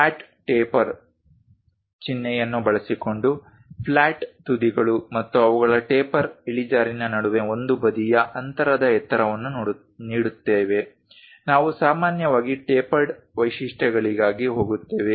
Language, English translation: Kannada, Giving height of one side distance between flat ends and their taper slope using a flat taper symbol, we usually go for tapered features